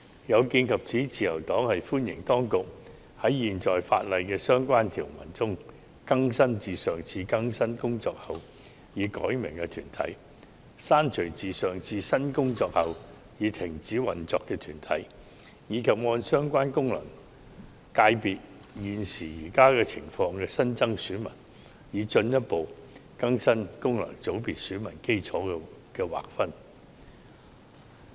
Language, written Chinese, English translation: Cantonese, 有見及此，自由黨歡迎當局在現行法例的相關條文下，更新已改名的團體、刪除已停止運作的團體，以及按相關功能界別現時的情況新增選民，進一步更新功能界別選民基礎的劃分。, In view of this the Liberal Party welcomes that the authorities update the names of corporates specified under relevant sections of the existing legislation that have had their names changed remove corporates which have ceased operation and add new electors in the light of the prevailing situation of the FCs concerned so as to further update the delineation of the electorate of FCs